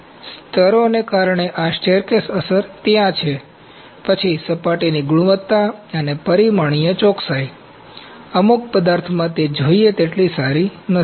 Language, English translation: Gujarati, So, this staircase effect because of layers is there then surface quality and dimensional accuracy are not as good as desired in some of the materials